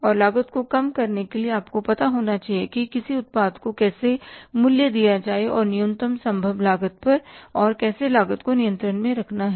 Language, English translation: Hindi, And for reducing the cost you should know how to cost the product at the minimum possible cost, how to keep the cost under control